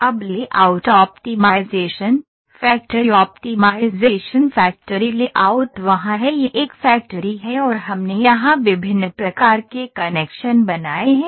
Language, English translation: Hindi, So, now a layout optimization factory optimization; factory layout is there, this is the factory and we have made weird kind of connections here